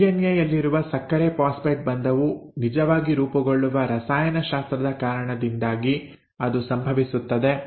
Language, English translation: Kannada, And that is simply because of the chemistry by which the sugar phosphate bond in DNA is actually formed